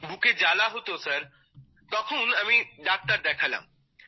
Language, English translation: Bengali, I used to have a burning sensation in the chest, Sir, then I showed it to the doctor